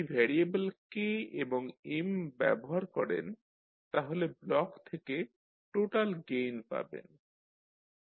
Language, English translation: Bengali, So, if you put the variables of K and M you will get the total gain which you will get from this block